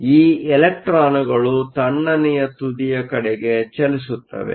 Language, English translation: Kannada, So, these electrons will tend to drift towards the cold end